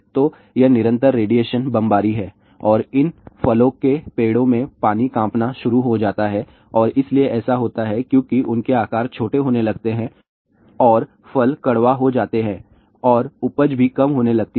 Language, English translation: Hindi, So, this is constant radiation bombardment and the water in these fruit bearing trees start getting vibrated and so what happens because of that their sizes start becoming smaller and the fruits become bitter and also the yield starts reducing